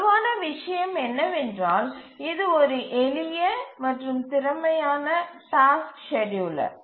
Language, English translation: Tamil, The strong point is that it's a simple and efficient task scheduler